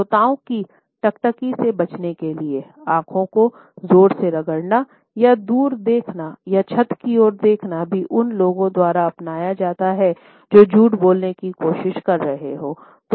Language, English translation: Hindi, Vigorously rubbing the eyes or looking away or looking at the ceiling to avoid the listeners gaze is also adopted by those people who are trying to put across a lie